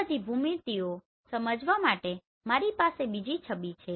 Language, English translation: Gujarati, I have another image to explain all these geometries